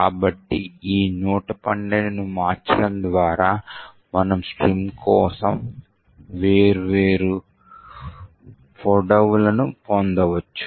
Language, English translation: Telugu, So, by varying this 112, we could actually get different lengths for the string